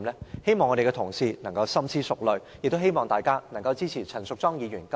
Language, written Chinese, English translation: Cantonese, 我希望各位同事深思熟慮，支持陳淑莊議員今次提出的中止待續議案。, I hope all Honourable colleagues will consider the situation carefully and support this adjournment motion moved by Ms Tanya CHAN